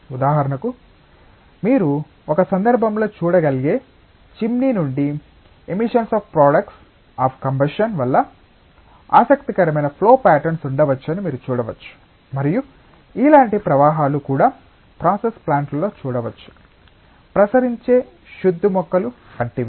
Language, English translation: Telugu, For example, so you can see that there can be interesting flow patterns that can be observed because of emissions of products of combustion from the chimney that you can see in one case and may be also similar flows can be visualised in process plants as well, like effluent treatment plants